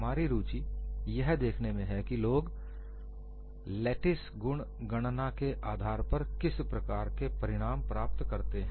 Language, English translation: Hindi, Our interest is to see, what kind of result people have got based on lattice property calculation